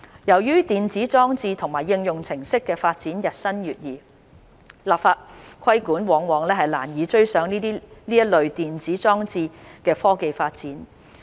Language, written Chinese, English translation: Cantonese, 由於電子裝置和應用程式的發展日新月異，立法規管往往難以追上這類電子裝置的科技發展。, Given the rapid development of electronic devices and applications regulatory measures by legislation would most likely lag behind the technological advances that are possible with these electronic devices